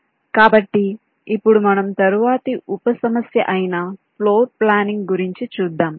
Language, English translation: Telugu, so we consider now the next sub problem, namely floor planning